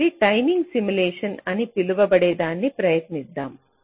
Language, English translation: Telugu, so let us try out something called timing simulation